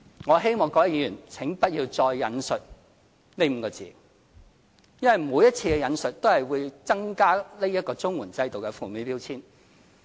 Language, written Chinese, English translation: Cantonese, 我希望各位議員請不要再引述這5個字，因為每次引述都會增加綜援制度的負面標籤。, I am not going to directly quote the wording but I hope Members can stop using such words as this will worsen the label put on those people living on CSSA